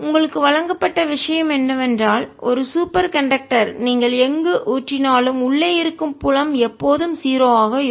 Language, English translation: Tamil, what you're given is that a superconductor, no matter where you put it, the field inside is always zero